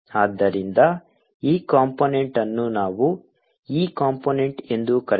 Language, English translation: Kannada, so this component, let's call it e component